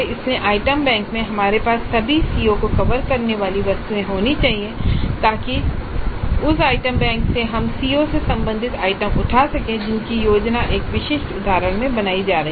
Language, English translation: Hindi, So in the item bank we must have items covering all the COs so that from that item bank we can pick up the items related to the COs which are being planned in a specific instance